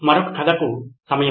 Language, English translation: Telugu, Time for another story